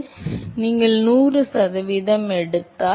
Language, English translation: Tamil, So, supposing if you take 100 percent